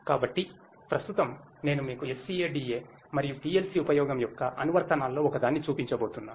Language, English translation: Telugu, So, right now I am going to show you one of the applications of the use of SCADA and PLC